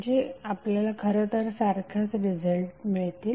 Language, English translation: Marathi, So you will get eventually the same result